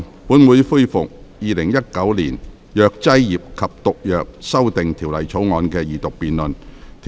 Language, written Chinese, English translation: Cantonese, 本會恢復《2019年藥劑業及毒藥條例草案》的二讀辯論。, This Council resumes the Second Reading debate on the Pharmacy and Poisons Amendment Bill 2019